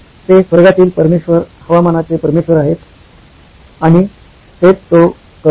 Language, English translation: Marathi, He is the Lord of the heavens, Lord of the weather and that is what he does